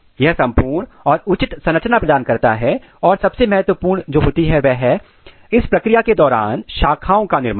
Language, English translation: Hindi, This gives total proper architecture and most important thing what happens during this process is branching